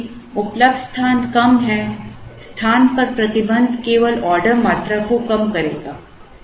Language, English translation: Hindi, Since, the available space is lesser a restriction on the space will only reduce the ordering quantities